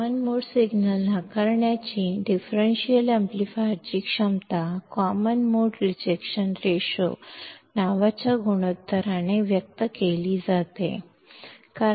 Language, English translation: Kannada, The ability of a differential amplifier to reject common mode signal is expressed by a ratio called common mode rejection ratio